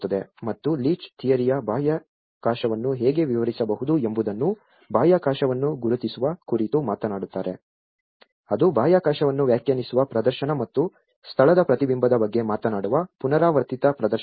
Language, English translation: Kannada, And Leach Theory talks about the identification of the space how one can narrate the space the performative which define the space and the repetitive performances which talks about the mirroring of the place